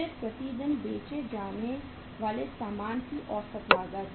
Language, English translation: Hindi, Then average cost of goods sold per day